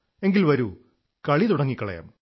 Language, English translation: Malayalam, So; let us start the game